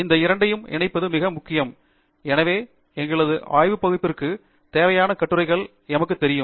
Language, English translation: Tamil, It’s very important to link these two, so that we know which articles we need for our research area